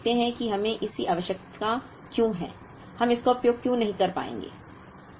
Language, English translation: Hindi, Now, let us go and see why we need this and why we would not be able to use this